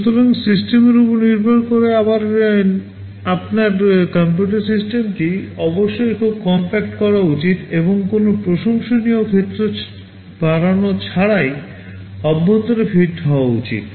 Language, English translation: Bengali, So, depending again on the system, your computing system must be made very compact and should fit inside without any appreciable increase in area